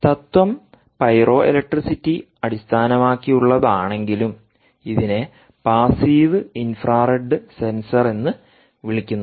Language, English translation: Malayalam, although the principle is based on pyroelectricity, pyroelectricity, its called ah passive infrared sensor